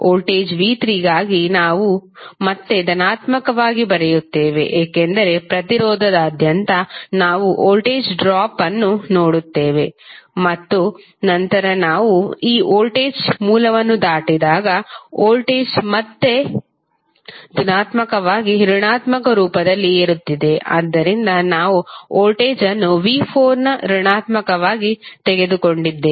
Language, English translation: Kannada, For voltage v¬3¬ we will again write as positive because the, across the resistance we will see the voltage drop and then again when we go across this voltage source, the voltage is again rising form negative to positive so we have taken voltage as negative of v¬4¬